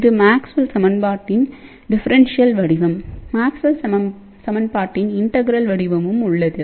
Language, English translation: Tamil, Now this is of course, the differential form of Maxwell equation there is an integral form of Maxwell equation also